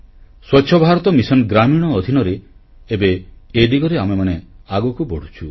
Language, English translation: Odia, Under the Swachch Bharat Mission Rural, we are taking rapid strides in this direction